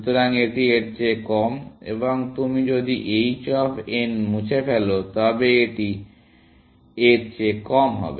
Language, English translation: Bengali, So, this is less than this, and if you remove h of n, you get this is less than this